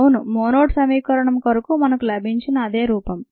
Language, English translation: Telugu, yes, it's a same form that we got for the monad equation